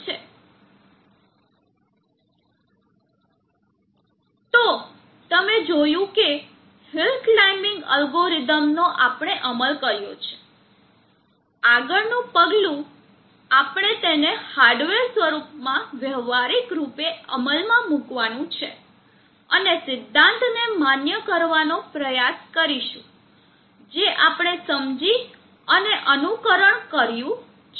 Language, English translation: Gujarati, So you see that the hill climbing algorithm we have implemented, the next step we would be for you to practically implement them in hardware and try to validate the theory that we have understood and simulated